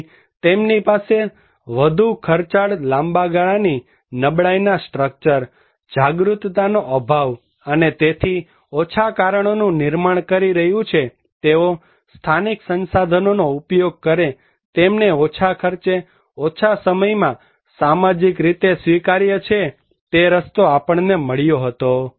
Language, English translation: Gujarati, Therefore, they have high cost long time vulnerable structure, lack of awareness and so it is creating that lesser cause that those who use utilization of local resources, they have less cost, short time socially acceptable that was the model we found